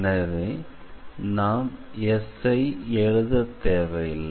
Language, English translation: Tamil, So, now we do not have to write S here